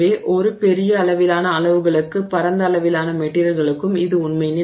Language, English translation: Tamil, So, so is true for a wide range of materials over a large range of sizes